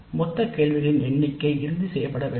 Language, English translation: Tamil, The total number of questions must be finalized